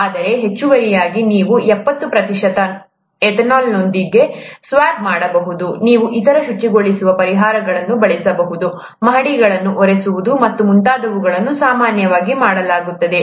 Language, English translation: Kannada, But in addition, you could swab with, let us say, seventy percent ethanol, you could use other cleaning solutions; mop the floors and so on so forth, that's normally done